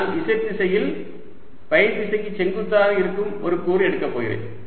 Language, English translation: Tamil, i am going to take an element which is in the z direction and perpendicular to the phi direction